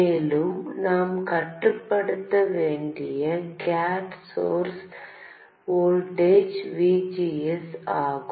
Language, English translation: Tamil, Also, what we need to control is the gate source voltage, VGS